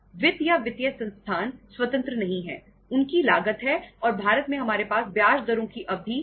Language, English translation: Hindi, Finance or the financial resources, they are not free they have a cost and in India we have term structure of interest rates, term structure of interest rates